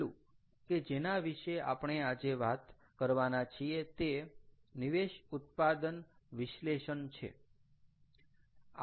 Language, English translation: Gujarati, the last one that i am going to talk about today is something called input output analysis